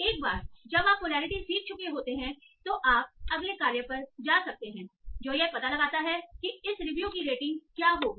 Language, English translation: Hindi, Once you have learned the polarity, you might go to an X tax that is find out what will be the rating of this review